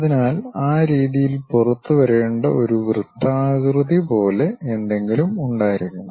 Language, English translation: Malayalam, So, there must be something like a circular thing, supposed to come out in that way